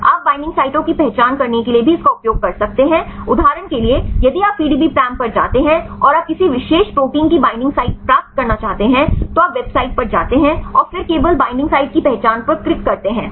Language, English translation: Hindi, You can use the same for identifying the bindings sites also right for example, if you go to the PDBparam and you want to get the binding sites of a particular protein, you go to the website and then just click on identification of binding site right